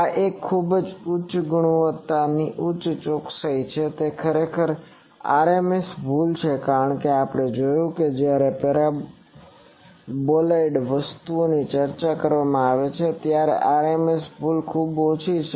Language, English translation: Gujarati, This is a very high quality high precision it is actually RMS error as we have seen when we are discussed paraboloide thing that RMS error is very small